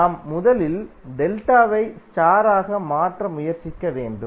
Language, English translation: Tamil, We have to first try to convert delta into star